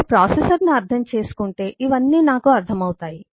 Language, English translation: Telugu, so if I understand processor, then I understand all of these